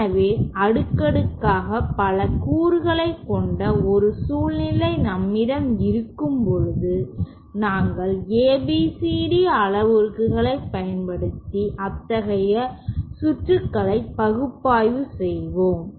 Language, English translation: Tamil, So, when we have such a uh scenario where we have many elements in cascade, we do use the ABCD parameters to analyse such circuits